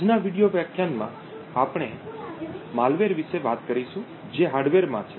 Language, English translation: Gujarati, In today's video lecture we would talk about malware which is present in the hardware